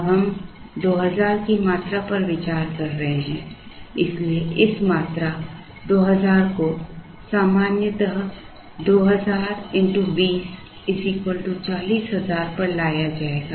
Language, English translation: Hindi, Now, we are considering the quantity 2000 so this quantity 2000 would be brought ordinarily at 2000 into 20 which is 40,000